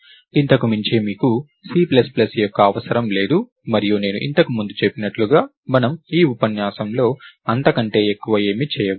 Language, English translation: Telugu, So, beyond this you probably don't need much of C plus plus and as I mentioned earlier, we are not going to do anything more than that in this lecture